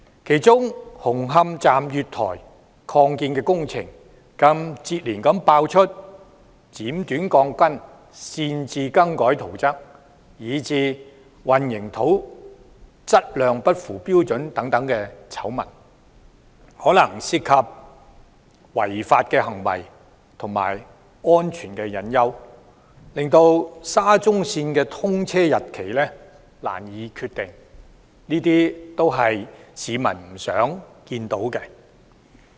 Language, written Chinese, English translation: Cantonese, 其中紅磡站月台擴建工程更接連爆出剪短鋼筋、擅自更改圖則，以至混凝土質量不符標準等醜聞，可能涉及違法行為和造成安全隱憂，令沙中線的通車日期難以確定，這些都是市民不願見到的。, Scandals such as the cutting short of steel reinforcement bars unauthorized alteration of construction drawings and the use of substandard concrete in respect of the extension works at the platform of the Hung Hom Station were exposed successively . As illegal acts might be involved and there are potential safety hazards the time of commissioning of SCL is yet to be determined . No one wants to see this happen